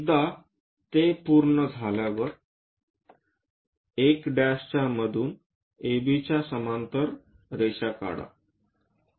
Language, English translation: Marathi, Once that is done, through 1 dash draw a line parallel to AB